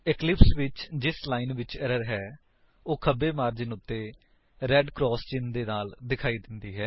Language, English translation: Punjabi, In Eclipse, the line which has the error will be indicated with a red cross mark on the left margin